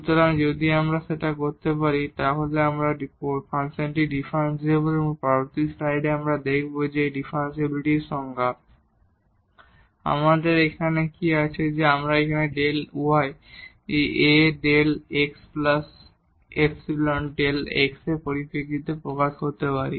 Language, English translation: Bengali, So, if we can do that we call the function is differentiable and now in the next slide we will see that this definition of the differentiability; what we have here that we can express this delta y in terms of this A delta x plus epsilon delta x